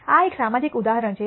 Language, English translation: Gujarati, This is a social example